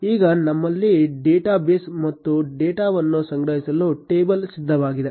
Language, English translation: Kannada, Now, we have a data base and a table ready to store the data